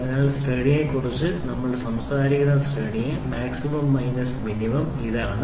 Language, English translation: Malayalam, So, there range what is a range we are talking about range is max minus min